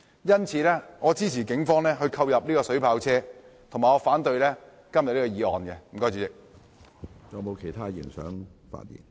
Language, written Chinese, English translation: Cantonese, 因此，我支持警方購入水炮車，以及反對今天的議案。, Hence I support the Polices purchase of vehicles equipped with water cannons and oppose todays motion